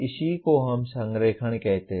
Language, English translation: Hindi, That is what we mean by alignment